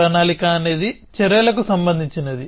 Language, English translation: Telugu, So, planning is concerned with actions